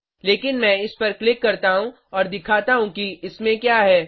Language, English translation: Hindi, But let me click and show you, what it contains